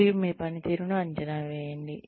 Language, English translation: Telugu, And then, you appraise their performance